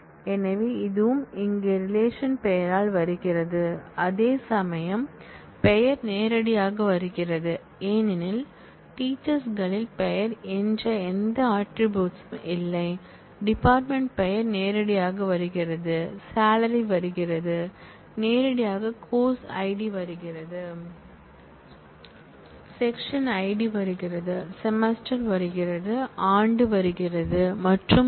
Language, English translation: Tamil, So, that is also specified here qualified by the name of the relation whereas, name comes in directly because there is no attribute called name in teachers, the department name comes in directly, salary comes in, directly course ID comes in, section ID comes in, semester comes in, year comes in and so on